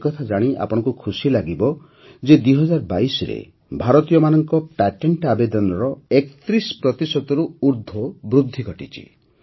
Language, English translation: Odia, You will be pleased to know that there has been an increase of more than 31 percent in patent applications by Indians in 2022